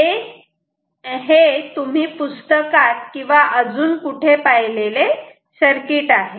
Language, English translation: Marathi, So, and this is the circuit that you have possibly seen in books or elsewhere